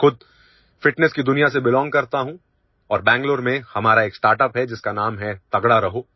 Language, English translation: Hindi, I myself belong to the world of fitness and we have a startup in Bengaluru named 'Tagda Raho'